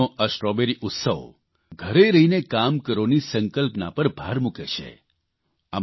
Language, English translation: Gujarati, Jhansi's Strawberry festival emphasizes the 'Stay at Home' concept